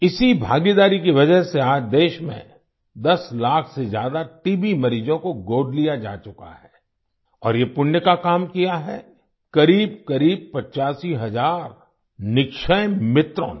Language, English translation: Hindi, It is due to this participation, that today, more than 10 lakh TB patients in the country have been adopted… and this is a noble deed on the part of close to 85 thousand Nikshay Mitras